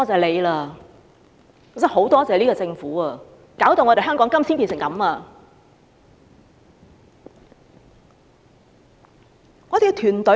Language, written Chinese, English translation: Cantonese, 我真的很"多謝"這個政府，搞到香港現在變成這樣。, I really thank this Government for turning Hong Kong into such a state